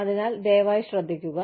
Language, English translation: Malayalam, So, please be careful